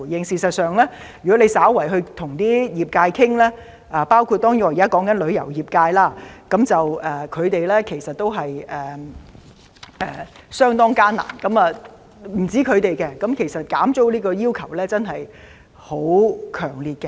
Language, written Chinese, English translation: Cantonese, 事實上，如果局長你與各業界稍作溝通——當然我現時提及的旅遊業界，他們的情況實在相當艱難——便會知道他們減租的要求真的很強烈。, Actually if the Secretary has casually talked to different industries of course I am talking about the tourism industry now because they are in a very difficult situation he should know that they strongly wish to have a rent cut